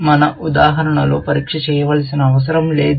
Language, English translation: Telugu, In our example, there is no test to be done